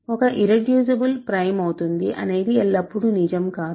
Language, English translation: Telugu, Irreducible implies prime, not always true